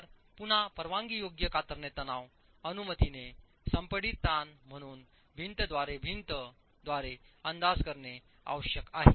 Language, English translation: Marathi, So, again, permissible shear stresses have to be estimated wall by wall as the permissible compressive stresses